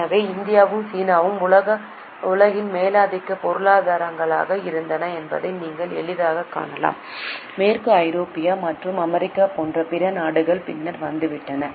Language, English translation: Tamil, So you can easily see that India and China, where the dominant economies in the world, other countries like Western Europe and US, have arrived much later